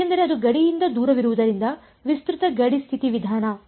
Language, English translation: Kannada, Because it is away from the boundary so extended boundary condition method